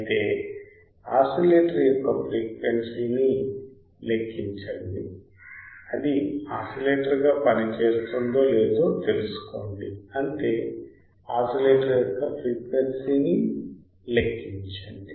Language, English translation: Telugu, If yes determine the frequency of the oscillator right if it works as a oscillator or not if yes determine the frequency of oscillator